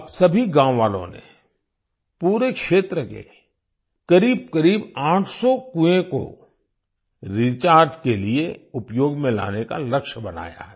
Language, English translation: Hindi, Now all the villagers have set a target of using about 800 wells in the entire area for recharging